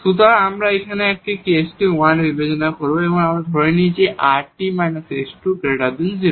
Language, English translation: Bengali, So, we will consider this case 1 now, where we assume that this rt minus s square is positive, that is the case 1